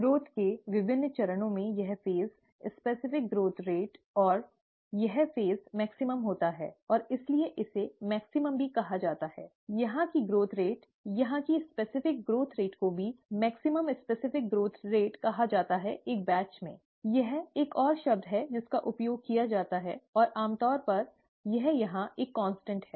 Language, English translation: Hindi, Among the various stages of growth, this phase, the specific growth rate and this phase happens to be the maximum, and therefore this is also called the maximum, the, the growth rate here, the specific growth rate here is also called the maximum specific growth rate in a batch, okay, that is another term that is used, and usually it is a constant here